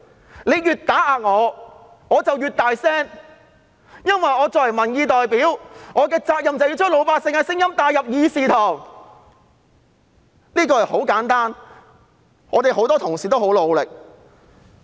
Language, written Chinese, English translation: Cantonese, 他們越打壓，我便越大聲，因為作為民意代表，我的責任就是要把老百姓的聲音帶入議事堂，這是很簡單的，我們很多同事都很努力。, The harder their suppression is the louder I will be for it is my bounden duty as a representative of public opinion to reflect the views of the ordinary people in the legislature . This is very simple and many Honourable colleagues have been working very hard